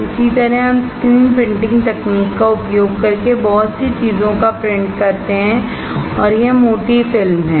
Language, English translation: Hindi, Similarly, we kind of print lot of things using the screen printing technology and this is thick film